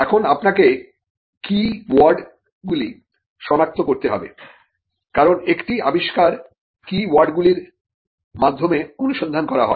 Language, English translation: Bengali, Now, you have to identify keywords because an invention is searched through keywords